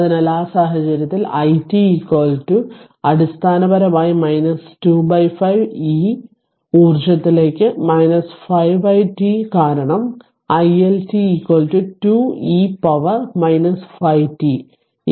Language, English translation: Malayalam, So, in in that case i t is equal to basically minus 2 by 5 e to the power minus 5 by t because i L tis equal to 2 e to the power minus 5 t is equal to minus 0